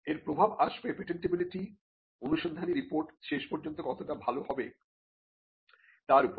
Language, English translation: Bengali, Will result in how good the patentability search report will eventually be